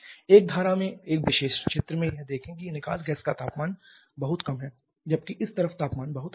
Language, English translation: Hindi, In one stream look at this in this particular zone the temperature of the exhaust gas is much lower whereas on this side the temperature is much higher